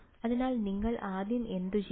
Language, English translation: Malayalam, So, what would you first do